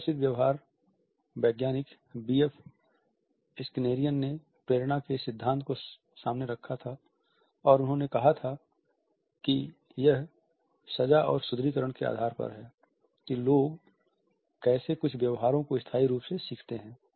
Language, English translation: Hindi, Skinner a famous behavioral scientist had put forward this theory of motivation and he had said that it is on the basis of the punishment and reinforcement that people learn certain behaviors almost in a permanent fashion